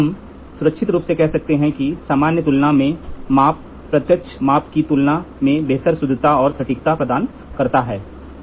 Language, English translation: Hindi, We can safely say that in general comparison measurement provides better accuracy and precision than the direct measurement